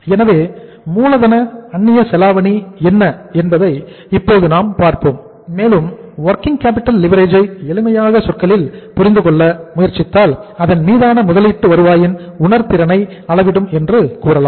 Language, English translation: Tamil, So it means let us see now what is the working capital leverage and if the working capital leverage we try to understand in the simpler terms you would say that working capital leverage measures the sensitivity of return on investment